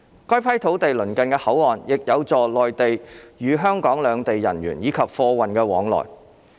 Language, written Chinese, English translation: Cantonese, 該批土地鄰近口岸，亦有助內地與香港兩地人員以及貨運往來。, Given the proximity of the land to the boundary control point this will facilitate the movement of people and goods between the Mainland and Hong Kong